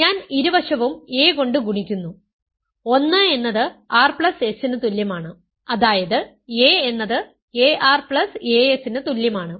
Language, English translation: Malayalam, I am multiplying both sides by a, 1 is equal to r plus s means a times a is equal to a times r plus a times s